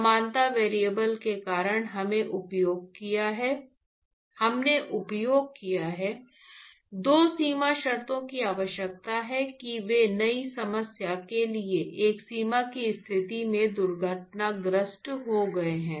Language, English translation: Hindi, Because of the similarity variable that we have used, 2 boundary conditions that is required they have crashed into one boundary condition for the new problem